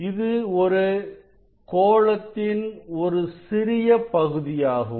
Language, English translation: Tamil, this is a small part of that sphere